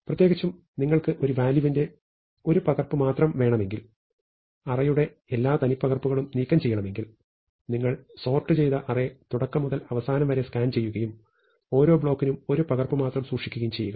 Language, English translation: Malayalam, And in particular, if you want only one copy of every value, if you want to remove all duplicates of the array, then you scan the sorted array from beginning to end and for each block of values keep just one copy